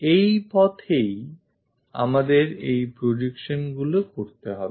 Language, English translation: Bengali, This is the way we have to construct these projections